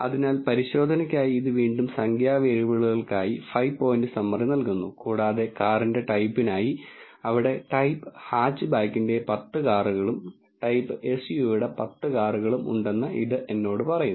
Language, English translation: Malayalam, So, for the test it again returns a five point summary for the numerical variables and for the car type it tells me that there are 10 cars of type hatchback and 10 cars of the type SUV